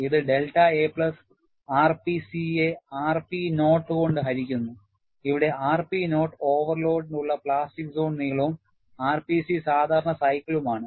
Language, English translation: Malayalam, It is delta a plus r p c divided by r p naught, where r p naught is the plastic zone length for the overload and r p c is for the normal cycle